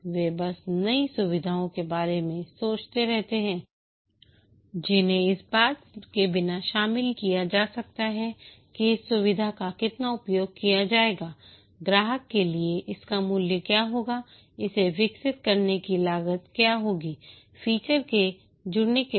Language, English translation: Hindi, They just keep on thinking new features which can be incorporated without thinking of whether how much the feature will be used, what will be the value to the customer, what will be the cost of developing it, feature after feature get added